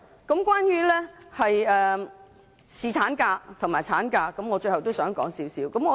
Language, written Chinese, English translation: Cantonese, 最後關於侍產假及產假，我也想提出一些意見。, Lastly I would also like to present some views on paternity leave and maternity leave